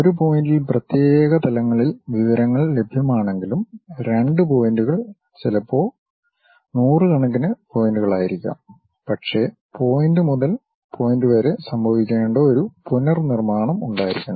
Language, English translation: Malayalam, Though, information is available at discrete levels at one point, two points may be hundreds of points, but there should be a reconstruction supposed to happen from point to point